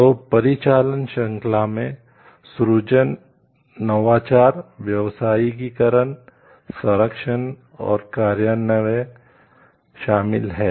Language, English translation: Hindi, So, the chain of activity includes creation, innovation, commercialization, protection and enforcement